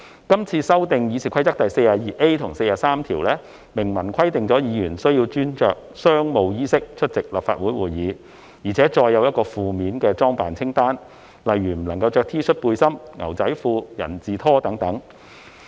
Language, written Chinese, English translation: Cantonese, 今次修訂《議事規則》第 42a 及43條，明文規定議員須穿着商務衣飾出席立法會會議，並載有—個負面的裝扮清單，例如不能穿着 T 恤、背心、牛仔褲及人字拖等。, The amendments made to Rules 42a and 43 of the Rule of Procedures expressly provide that Members shall dress in business attire when attending Council meetings with a list of inappropriate attire including T - shirts singlets jeans flip - flops etc